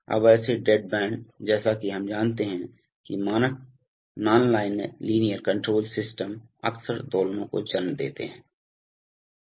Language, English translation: Hindi, Now such dead bands as we know from, you know standard nonlinear control systems often give rise to oscillations